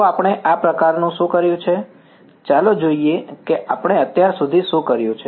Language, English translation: Gujarati, So, what have we this sort of let us look at what we have done so far